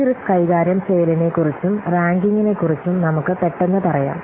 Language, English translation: Malayalam, Let's quickly say about this risk handling and ranking